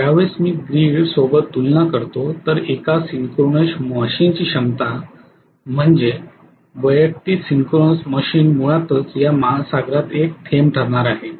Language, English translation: Marathi, When I compare to the grid, when I compare with the grid the capacity of any individual synchronous machine, the individual synchronous machine is going to be a drop in an ocean basically